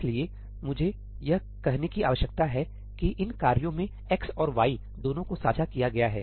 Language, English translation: Hindi, So, I need to say here that x and y are both shared in these tasks